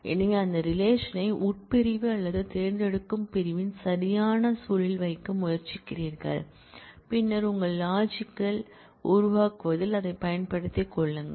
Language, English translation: Tamil, So, you try to put that relation in the right context of the where clause from clause or select clause, and then make use of it in building up your logical